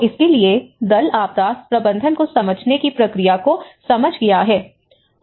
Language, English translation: Hindi, So, for this, the team has understood that how one can look at the process of understanding the disaster management